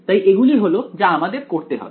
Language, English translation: Bengali, So, that is what we have to do